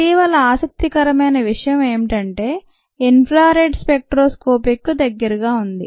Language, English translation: Telugu, it is what is called near infra red spectroscopic interact